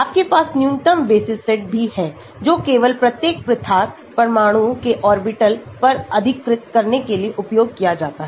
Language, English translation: Hindi, you also have minimal basis set that is which only occupied orbitals of each isolated atoms are used to compose